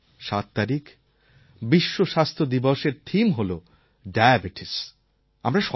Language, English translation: Bengali, This year the theme of the World Health Day is 'Beat Diabetes'